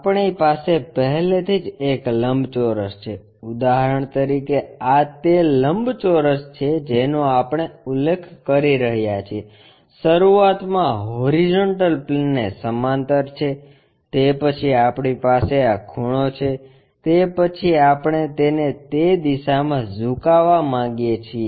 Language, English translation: Gujarati, We already have a rectangle, for example, this is the rectangle what we are referring to, initially we have parallel tohorizontal plane, after that we have this tilt, after that we want to tilt it in that direction